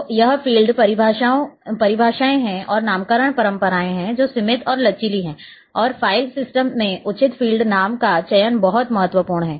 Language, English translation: Hindi, So, this is field definitions and naming conventions that is also limited and flexible it is not flexible and a selection of proper field name are very important in file system